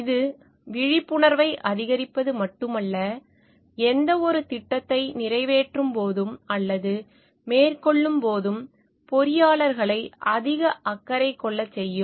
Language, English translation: Tamil, It would not only be not only to increase the awareness, but also to make engineers more concerned while passing or undertaking any projects